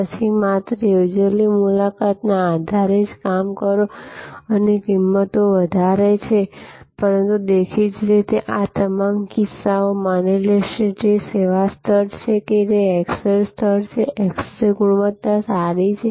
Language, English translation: Gujarati, Then, only operate on the basis appointment the prices are higher, but; obviously, all this cases will assume that the service level is, that x ray level is, x ray quality is good